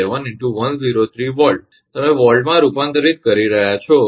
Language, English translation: Gujarati, 11 into 10 to the power 3 volt you are converting into volts